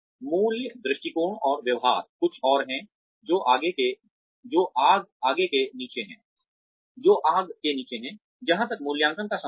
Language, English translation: Hindi, Values, attitudes, and behaviors are something else, that have been under fire, as far as appraisals are concerned